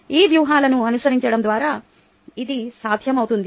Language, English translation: Telugu, by following these strategies